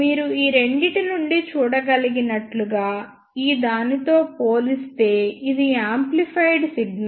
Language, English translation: Telugu, As you can see from these two, so this is the amplified signal as compared to this one